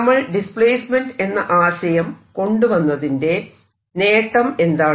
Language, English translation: Malayalam, now what is the advantage of taking displacement